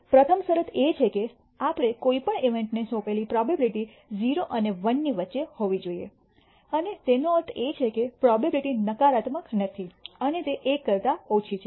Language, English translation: Gujarati, The first condition is that the probability we assign to any event should be bounded between 0 and 1 and that means, probabilities are non negative and it is less than 1